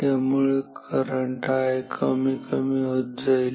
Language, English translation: Marathi, So, current I will decrease ok